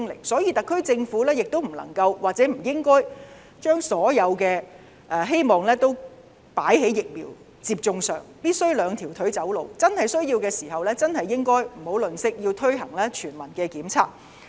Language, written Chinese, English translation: Cantonese, 所以，特區政府不能夠，亦不應該將所有希望放在疫苗接種上，必須"兩條腿走路"，有需要時不要吝嗇，要推行全民檢測。, For that reason the SAR Government cannot and should not put all the hopes on the vaccination programme . It should walk on two legs . It should not spare any resources in conducting the universal testing programme if necessary